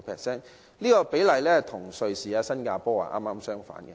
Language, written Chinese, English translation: Cantonese, 這個比例與瑞士及新加坡剛好相反。, The situation in countries like Switzerland and Singapore is the exact opposite